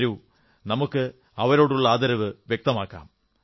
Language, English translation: Malayalam, Come on, let us express our gratitude towards them